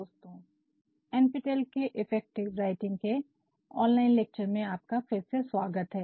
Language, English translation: Hindi, And, welcome back to NPTEL online lectures on Effective Writing